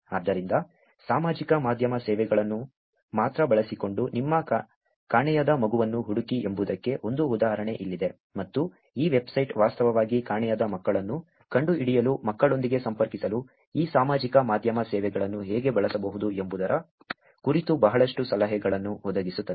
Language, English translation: Kannada, So, here is one example which is 'find your missing child' using only social media services, and this website actually provides lot of tips on how one can use these social media services to connect with children to find out the missing children